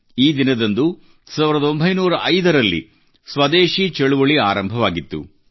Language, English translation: Kannada, On this very day in 1905, the Swadeshi Andolan had begun